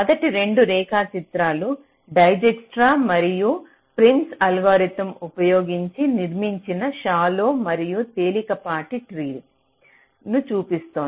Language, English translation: Telugu, they show the shallow tree and the light tree, constructed using dijkstras and prims algorithm respectively